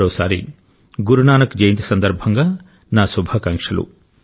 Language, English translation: Telugu, Once again, many best wishes on Guru Nanak Jayanti